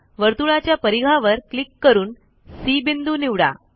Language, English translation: Marathi, click on the circumference as point c